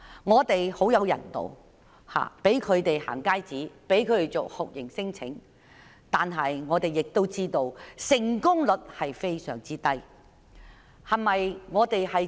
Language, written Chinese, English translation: Cantonese, 本港非常人道，向他們發出"行街紙"，為他們辦理酷刑聲請，但我們都知道成功率非常低。, The Hong Kong Government is very humane as going - out passes are issued to people who make torture claims . Yet we all know that the rate of successful claim is very low